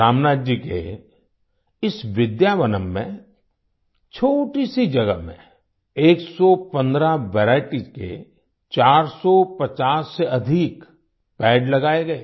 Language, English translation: Hindi, In the tiny space in this Vidyavanam of Ramnathji, over 450 trees of 115 varieties were planted